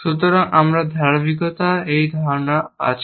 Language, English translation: Bengali, So, we have this notion of consistency